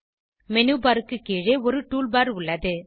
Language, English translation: Tamil, Below the Menu bar there is a Tool bar